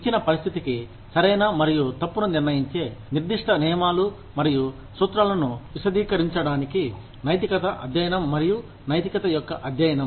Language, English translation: Telugu, Ethics is concerned with, the study of morality, and the application of reason, to elucidate specific rules and principles, that determine right and wrong, for a given situation